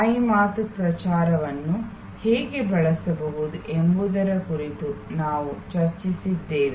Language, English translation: Kannada, We have also discussed how you can use word of mouth, publicity